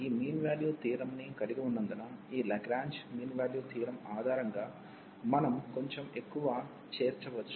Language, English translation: Telugu, So, having this mean value theorem, we can also include little more based on this Lagrange mean value theorem